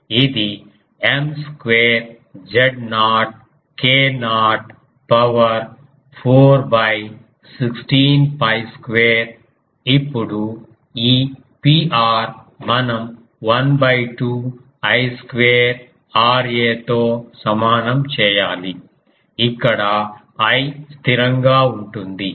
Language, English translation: Telugu, So, this will be M square Z naught k naught 4; 16 pi square ; now this P r; we need to equate to half I square R a here I is constant